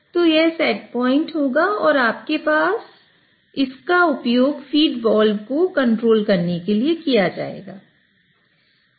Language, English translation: Hindi, So, this will be the set point and that would be used to control the feed wall